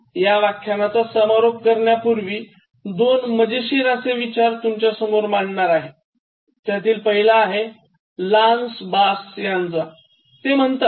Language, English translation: Marathi, Now to conclude, I just want to conclude with two interesting thoughts one is from Lance Bass who gives a very interesting idea